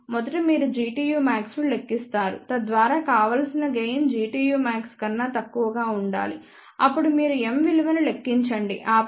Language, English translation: Telugu, First you calculate G tu max, so that desired gain has to be less than G tu max then you also find out the value of m check that m is less than 0